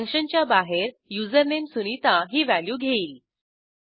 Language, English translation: Marathi, Outside the function, username takes the value sunita